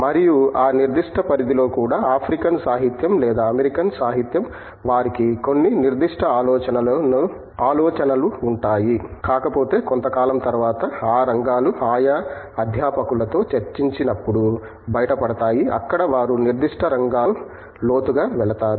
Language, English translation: Telugu, And, even within that specific domain of let us say African literature or American literature they have certain specified ideas as well and if not over a period of time those areas emerge in the discussion with their respective faculty, where they go to the specific area in depth